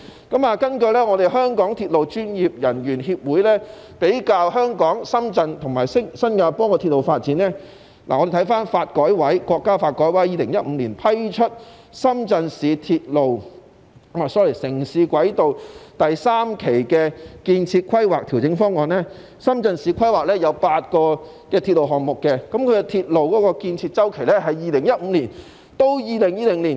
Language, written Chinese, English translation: Cantonese, 根據香港鐵路運輸專業人員協會對香港、深圳和新加坡的鐵路發展作出的比較，國家發展和改革委員會在2015年批出深圳市城市軌道第三期的建設規劃調整方案，深圳市規劃有8個鐵路項目，鐵路的建設期為2015年至2020年。, According to a comparison of railway development among Hong Kong Shenzhen and Singapore made by the Association of Hong Kong Railway Transport Professionals the National Development and Reform Commission approved in 2015 the revised plan for the Shenzhen urban rail transit phase III development under which eight railway projects were planned for construction in Shenzhen over a period from 2015 to 2020